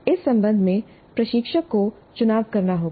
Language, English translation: Hindi, Instructor has to make a choice regarding this